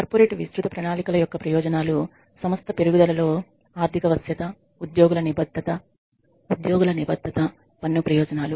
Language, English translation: Telugu, The advantages of corporate wide plans are financial flexibility for the firm increased, employee commitment, tax advantages